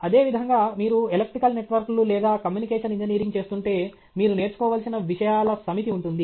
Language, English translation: Telugu, Like that, if you are doing in electrical networks or communication engineering, there will be a set of things which you will have to master